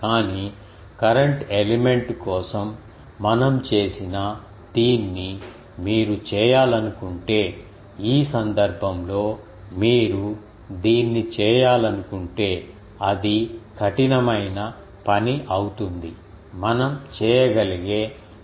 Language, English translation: Telugu, But, if you can want to do this which we have done for current element, but in this case if you want to do that it will be a tough job, there will be some integrals which we only able to do